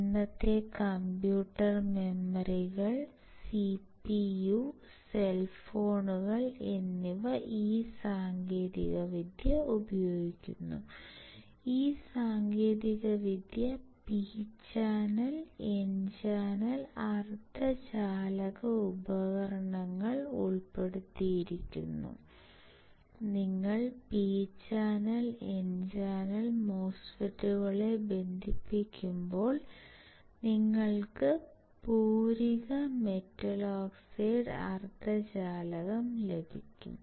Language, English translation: Malayalam, Today’s computer memories CPU cell phones make use of this technology due to several key advantages; this technology makes use of both P and N channel semiconductor devices, when you connect P channel and N channel MOSFETs, you will get complementary metal oxide semiconductor